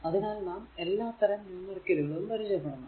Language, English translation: Malayalam, So, you should you should be familiar with all sort of numericals